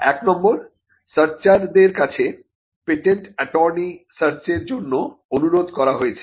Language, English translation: Bengali, Number one, a search request is made by the patent attorney to the searcher